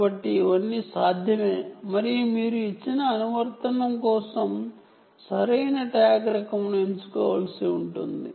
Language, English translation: Telugu, so all of these are possible and you may have to choose the right type of tag for a given application